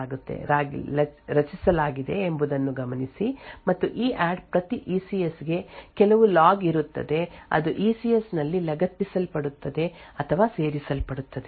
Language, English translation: Kannada, So, note that the SECS was created during the ECREATE instruction which was done initially and during the EADD per ECS there will some log which gets appended or added in the ECS